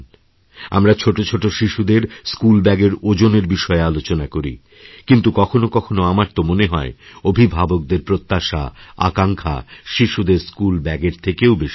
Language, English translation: Bengali, We keep deliberating on the heavy weight of our tiny tots' school bags, but there are times when I feel that expectations and aspirations on the part of parents are far too heavier compared to those school bags